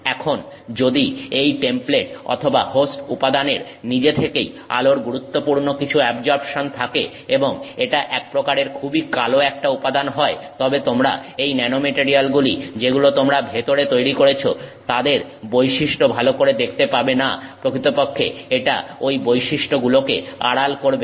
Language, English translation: Bengali, Now if this template or the host material itself has some significant absorption of light and it is actually very dark material of some sort, then you are not going to see the property of the nanomaterial that you have grown inside it very well